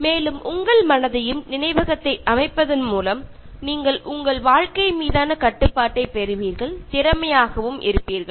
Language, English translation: Tamil, By organizing your mind and memory, you will gain control of your life and become more efficient